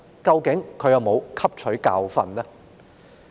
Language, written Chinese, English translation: Cantonese, 究竟她有否汲取教訓呢？, Has she learnt a lesson indeed?